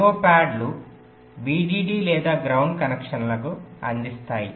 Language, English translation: Telugu, the i o pads will be feeding the vdd or ground connections